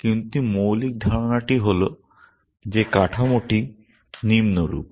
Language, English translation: Bengali, But the basic idea is that the structure is as follows